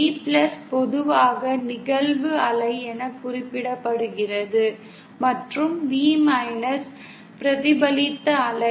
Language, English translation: Tamil, V + is usually referred to as the incident wave and V as the reflected wave